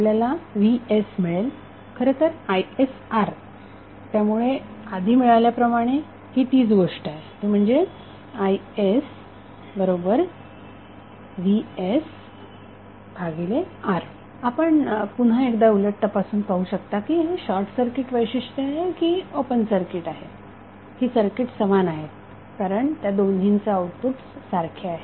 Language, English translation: Marathi, So what you get, you get Vs is nothing but is into R so, this is the same thing which you got in previous case what we got in previous case, Vs by R equal to is so, you can cross verify that whether it is short circuit characteristic or open circuit characteristic the circuit is equivalent because it is giving the same output